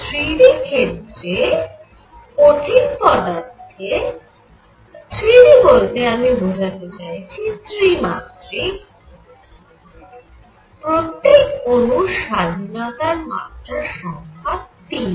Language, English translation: Bengali, So, if this is 3 d solid by 3 d, I mean 3 dimensional, each atom has 3 degrees of freedom